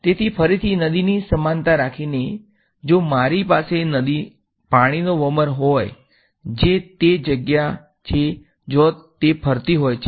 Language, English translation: Gujarati, So, again keeping with the river analogy, if I have a whirlpool of water that is a place where it is swirling